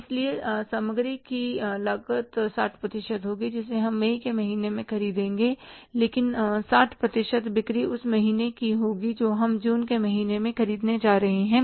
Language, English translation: Hindi, So, material cost will be 60% which we will be purchasing in the month of May, but that 60% will be of the sales we are going to do in the month of June